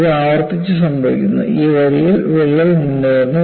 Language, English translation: Malayalam, So, this happens repeatedly, the crack advances along this line